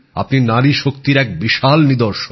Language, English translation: Bengali, You too are a very big example of woman power